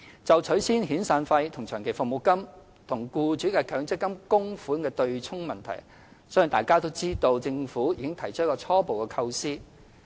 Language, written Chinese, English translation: Cantonese, 就取消遣散費及長期服務金與僱主的強制性公積金供款的"對沖"問題，相信大家都知道，政府已提出初步構思。, On the issue of abolishing the arrangement for offsetting severance payment and long service payment with Mandatory Provident Fund MPF contributions of employers the Government has already set out a preliminary proposal as Members may well know